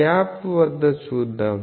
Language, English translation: Telugu, This is at the gap